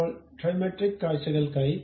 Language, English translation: Malayalam, Now, for the Trimetric view